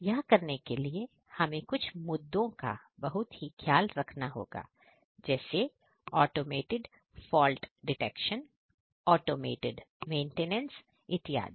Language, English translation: Hindi, So, how we are going to do that while taking care of issues of automated fault detection, automated maintenance